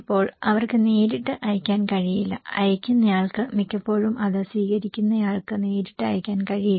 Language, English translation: Malayalam, Now, they cannot directly send, sender cannot directly send it to receiver most of the time